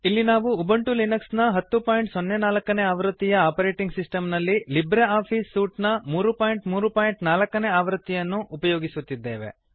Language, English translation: Kannada, Here we are using Ubuntu Linux 10.04 as our operating system and LibreOffice Suite version 3.3.4